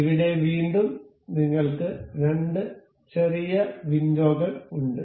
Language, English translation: Malayalam, Here again, we have two little windows